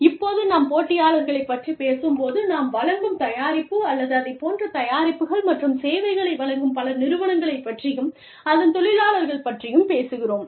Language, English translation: Tamil, Now, when we talk about competitors, we are talking about other people, other organizations, who are offering the same product, or similar set of products and services, that we are offering